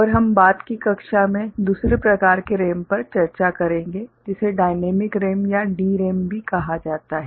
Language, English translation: Hindi, And we shall discuss the other type of RAM also called Dynamic RAM or DRAM in subsequent class